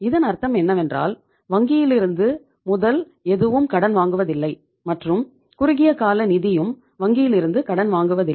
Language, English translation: Tamil, So it means they are not borrowing any capital from the bank, short term funds from the bank